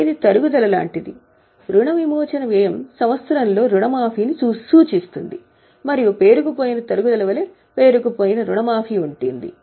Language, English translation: Telugu, Amortization expense refers to amortization during the year and there is accumulated amortization just like accumulated depreciation